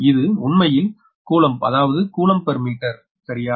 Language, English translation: Tamil, this is actually, uh, that is coulomb, coulomb per meter, right